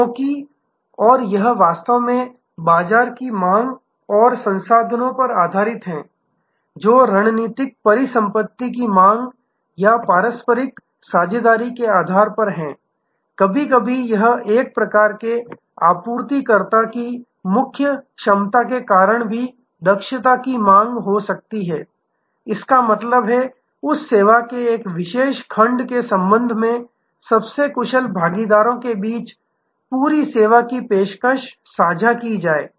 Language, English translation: Hindi, Because, and that is actually alliance based on market seeking and resource seeking or mutual sharing of strategic asset, sometimes due to core competence of one type of supplier there can be also efficiency seeking; that means, the whole service offering will be shared among the most efficient partners with respect to one particular section of that service